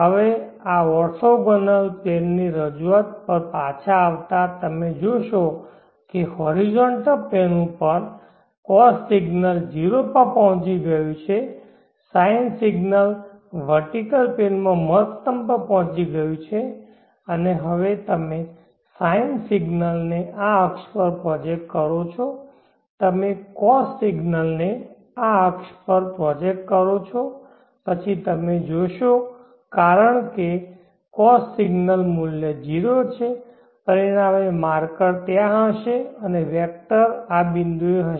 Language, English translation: Gujarati, Now coming back to this orthogonal plane representation you will see that the cost signal has reached 0 in the horizontal plane the sine signal has reached maximum on the vertical plane and now you project the sine signal onto this axis project the cost signal onto this axis then you will see that because the cost ignore value is 0 the resultant marker will be there and the vector will be at this point